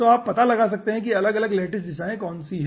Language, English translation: Hindi, what are the different lattice directions